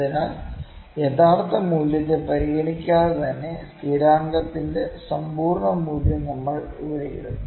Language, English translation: Malayalam, So, we will put absolute value of the constant here as well, irrespective of it is original value